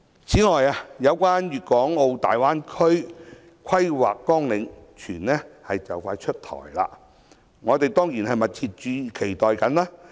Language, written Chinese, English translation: Cantonese, 此外，有關粵港澳大灣區規劃綱領，有傳快將出台，我們當然密切期待。, Moreover we learn that the Outline Development Plan for the Guangdong - Hong Kong - Macao Greater Bay Area will soon be announced . Of course we will earnestly look forward to it